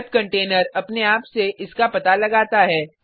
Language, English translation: Hindi, The web container automatically detects it